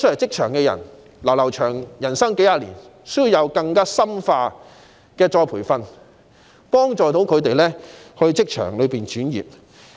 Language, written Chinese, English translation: Cantonese, 他們的人生路仍然漫長，需要獲得更深化的再培訓，幫助他們轉職。, They still have a long way to go in life so they are in need of more in - depth retraining to help them switch to other types of jobs